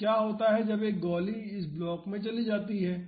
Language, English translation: Hindi, So, what happens when this bullet gets fired into this block